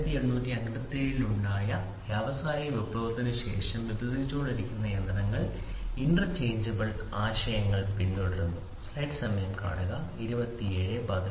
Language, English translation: Malayalam, After the industrial revolution which happened in 1857 the machines which are getting developed followed the concept of interchangeability